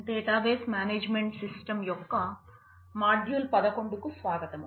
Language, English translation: Telugu, Welcome to module eleven of database management system